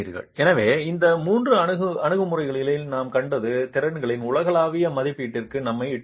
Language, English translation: Tamil, So, what we have seen in the last three approaches will lead us to a global estimate of the capacities